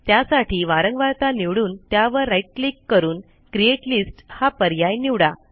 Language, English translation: Marathi, Select the frequency right click and say create list